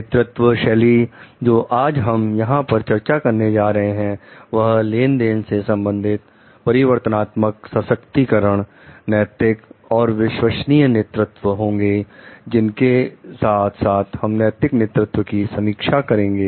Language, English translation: Hindi, The leadership styles that we are going to discuss today are transactional, transformational, empowering, ethical and authentic leadership strike along with that we will also again review the moral leadership